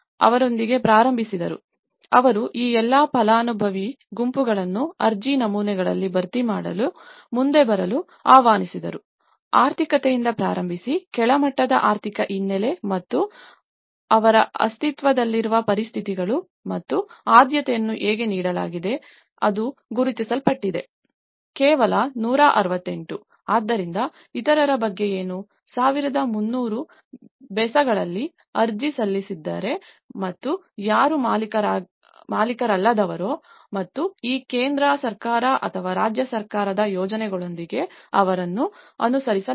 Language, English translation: Kannada, So that is where they started with them, they invited all these beneficiary groups to come forward to fill the application forms so, starting from the economic; the lower economic background and their existing situations and that is how the priority has been given and that’s the identified, only 168, so what about the others, out of 1300 odd have applied and who are non owners and these, they are not complied with these central government or the state government schemes